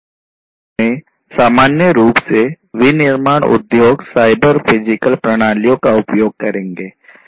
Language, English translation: Hindi, In the industry, in general, manufacturing industries will use cyber physical systems